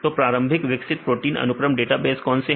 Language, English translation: Hindi, So, what is the initially developed protein sequence database